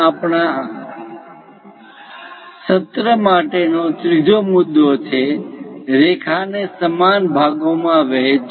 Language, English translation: Gujarati, The third point objective for our today's session is; divide a line into equal parts